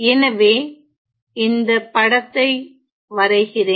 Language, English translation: Tamil, So, let me just draw the figure